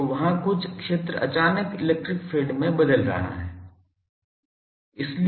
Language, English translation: Hindi, So, there is certain field was going suddenly the electric field is getting change